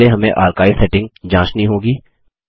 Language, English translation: Hindi, First we must check the archive settings